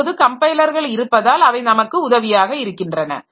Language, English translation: Tamil, Now, presence of compilers, they are actually helping us